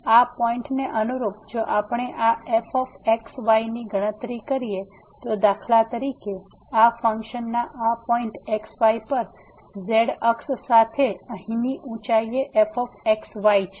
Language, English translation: Gujarati, So, corresponding to this point, if we compute this , then for instance this is the point here the height this in along the z axis at this point of this function is